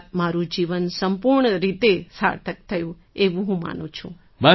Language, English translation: Gujarati, Meaning, I believe that my life has become completely meaningful